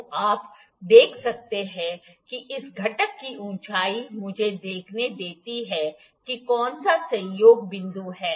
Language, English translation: Hindi, So, you can see that the height of this component is let me see which is a coinciding point